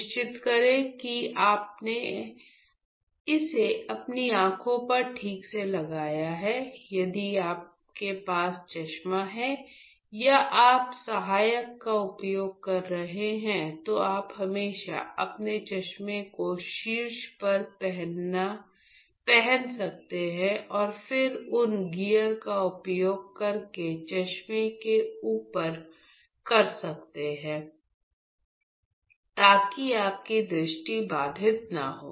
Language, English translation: Hindi, So, make sure you have it properly fixed onto your eyes, in case you have specs or you are using assistant then you could always wear your specs on top and then use these gears on top of your specs, so that your vision is not hampered